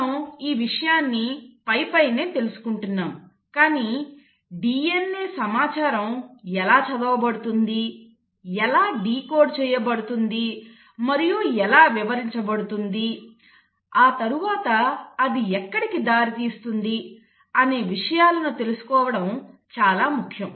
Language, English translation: Telugu, So we are trying to understand it at a very superficial level but it is important to understand the concept as to how the DNA information is read, decoded and interpreted and then what does it lead to